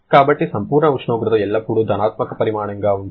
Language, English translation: Telugu, So, absolute temperature is always a positive quantity